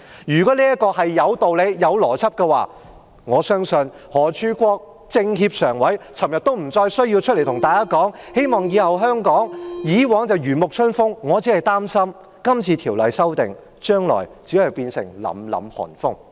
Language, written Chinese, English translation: Cantonese, 如果修例有道理、有邏輯，我相信全國政協常委何柱國昨天也不需要出來對大家說，希望香港以後......以往是如沐春風，我擔心修例後，將來只會變成凜凜寒風。, If the amendments to the Ordinance were reasonable and logical Mr Charles HO a member of the Standing Committee of the Chinese Peoples Political Consultative Conference would not have said yesterday that he hoped Hong Kong would I worry that after the Ordinance is amended the spring breeze will turn into harsh cold winds